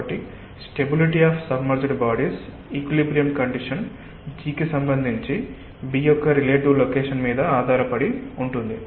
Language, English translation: Telugu, so the stability of submerged bodies, the equilibrium condition, depends on the relative location of b with respect to g